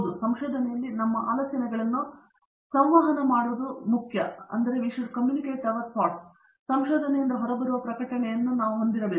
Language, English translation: Kannada, And also, of course given that in research is important to communicate our ideas, we have to have publications that come out of research